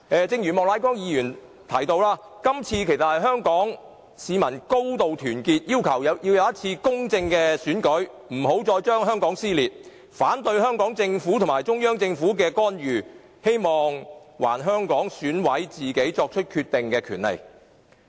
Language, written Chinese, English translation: Cantonese, 正如莫乃光議員提到，香港市民今次高度團結，要求進行公正的選舉，不要再令香港撕裂；香港市民反對香港政府和中央政府進行干預，並希望還香港選委自行作出決定的權利。, As pointed out by Mr Charles Peter MOK Hong Kong people are highly united this time in their request for a fair election and an end to social dissension . People of Hong Kong object to the interference of the Hong Kong Government and Central Government and hope that members of the Election Committee EC of Hong Kong can make their own decision